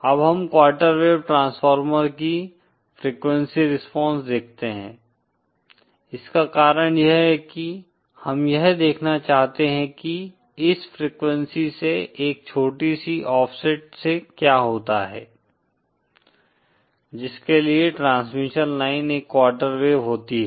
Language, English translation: Hindi, Now the reason we see the frequency response of the quarter wave transformer is because, we want to see what happens at say a small offset from this frequency for which the transmission line is a quarter wave is of quarter wave